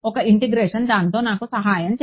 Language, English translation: Telugu, So, one integration is going to help me with that